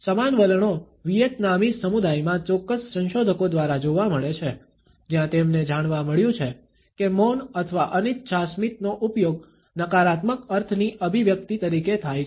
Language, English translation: Gujarati, The similar tendencies are seen in Vietnamese community by certain researchers, where they have found that silence or the use of a reluctant smile is used as an expression of negative connotations